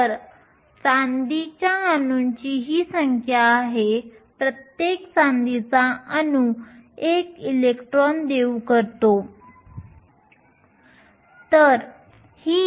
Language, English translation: Marathi, So, these are the number of silver atoms each silver atom can donate 1 electron